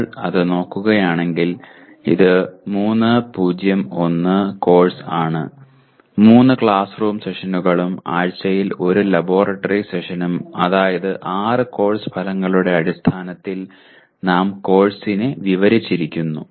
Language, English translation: Malayalam, If you look at this it is a 3:0:1 course; 3 classroom sessions and 1 laboratory session per week which means 2 hours of laboratory session per week and here we have described the course in terms of 6 course outcomes